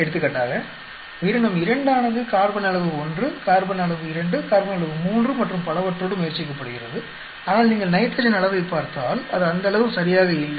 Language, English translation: Tamil, For example, organism 2 is being tried out on with carbon amount 1, carbon amount 2, carbon amount 3 and so on, but if you look at the nitrogen amount, it is not exactly as much